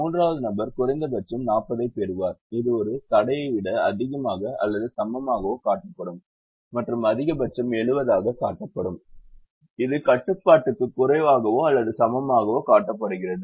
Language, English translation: Tamil, the third person: you will get a minimum of forty, which is shown as a greater than or equal a constraint, and a maximum of seventy, which is shown as a less than or equal to constraints